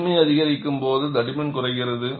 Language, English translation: Tamil, As the strength increases, thickness also decreases